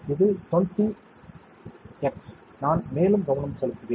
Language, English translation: Tamil, This is 20x, I will do further focusing